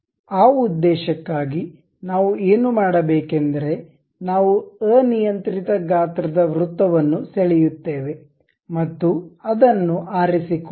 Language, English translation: Kannada, For that purpose what we do is we go draw a circle of arbitrary size and pick that one go to features